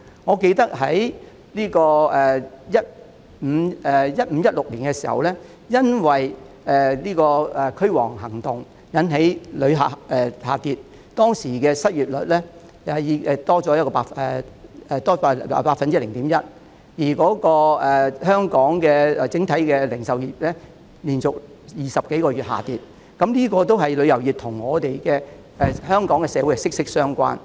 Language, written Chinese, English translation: Cantonese, 我記得在 2015-2016 年度時，曾因"驅蝗行動"而引致旅客人數下跌，當時的失業率上升了 0.1%， 而香港整體零售業的業績亦連續20多個月下跌，旅遊業與香港社會是息息相關的。, I recall that in the year 2015 - 2016 the number of visitors dropped because of the anti - locust campaign . At that time the unemployment rate rose by 0.1 % whereas the total retail sales of Hong Kong had dropped for 20 - odd months in a row . The tourism industry is closely related to the community of Hong Kong